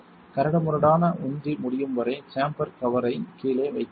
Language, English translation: Tamil, Hold the chamber cover down until the rough pumping is complete